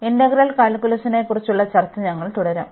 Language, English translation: Malayalam, And we will be continuing our discussion on integral calculus